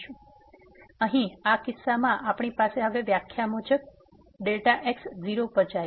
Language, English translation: Gujarati, So, here in this case we have as per the definition now and delta goes to 0